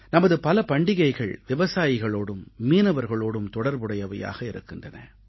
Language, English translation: Tamil, Many of our festivals are linked straightaway with farmers and fishermen